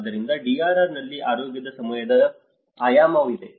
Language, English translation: Kannada, So, there is a time dimension of health in DRR